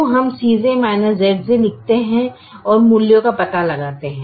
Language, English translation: Hindi, so we write c j minus z j and find out the values